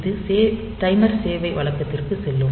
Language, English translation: Tamil, So, it will go to the timer service routine